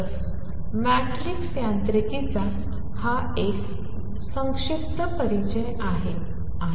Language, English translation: Marathi, So, this is a brief introduction to matrix mechanics